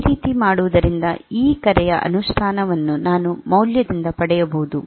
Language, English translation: Kannada, So, that I can get and I can get the implementation of this call by value